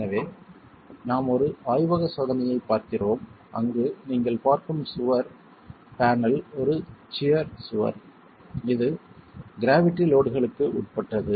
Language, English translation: Tamil, So we're looking at a laboratory test where the wall panel that you're looking at is a shear wall